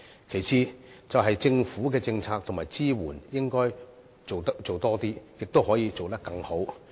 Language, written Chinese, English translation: Cantonese, 其次，政府的政策及支援應該做得更多，亦可以做得更好。, Besides the Government should step up efforts and can also achieve better results in its policies and support